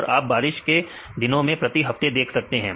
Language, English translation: Hindi, And you can see rainy days per week